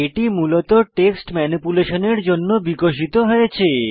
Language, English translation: Bengali, It was originally developed for text manipulation